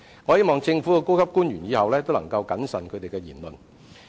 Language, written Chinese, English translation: Cantonese, 我希望政府高級官員日後要謹慎言論。, I hope government officials should be more cautious in making remarks in future